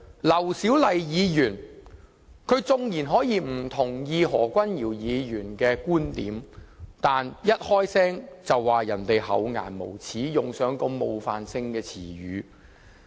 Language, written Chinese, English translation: Cantonese, 劉小麗議員縱然可以不同意何君堯議員的觀點，但她一發言便指何議員厚顏無耻，用上如此冒犯性的詞語。, Dr LAU Siu - lai could disagree with Dr Junius HOs point of view but she should not have said in her speech that Mr HO was shameless . It is a very offensive word